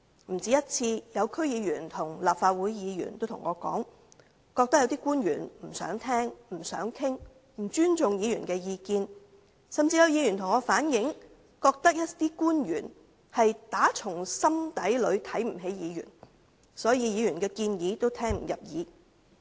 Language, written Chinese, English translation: Cantonese, 不止一次有區議員和立法會議員告訴我，覺得有些官員不想聽他們的意見、不想討論、不尊重議員的意見，甚至有議員向我反映，覺得有些官員打從心底裏看不起議員，所以議員的建議也聽不入耳。, Some District Council members and Legislative Council Members have told me more than once their feelings that some officials did not want to hear their views did not want to have any discussion and did not respect their views . Some of them even relayed to me that they thought some officials looked down on Members from the bottom of their heart so they would turn a deaf ear to Members suggestions